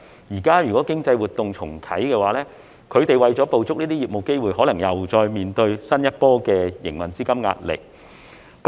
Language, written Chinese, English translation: Cantonese, 如果現在經濟活動重啟，他們為了捕捉這些業務機會，可能又再面對新一波的營運資金壓力。, If economic activity resumes now they may have to face a new wave of pressure on cash flow in order to capture these business opportunities